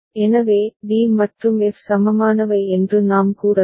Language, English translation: Tamil, So, we can say d and f are equivalent ok